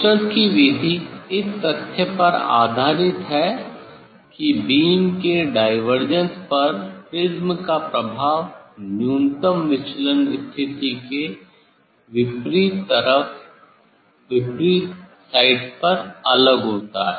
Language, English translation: Hindi, Schuster s method is based on the fact that the effect of the prism on the divergence of the beam is different on opposite sides of the minimum deviation position